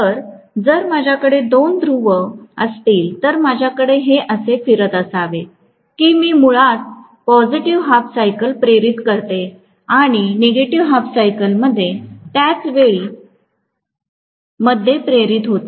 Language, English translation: Marathi, So, if I have two poles, I should have this rotating in such a way that I am going to have basically positive half cycle is induced here and negative half cycle is induced at the same point in A dash at the same instant of time in A dash